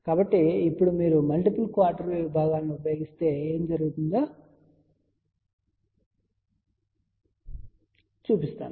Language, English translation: Telugu, So, now, let me show you if you use multiple quarter wave sections what can happen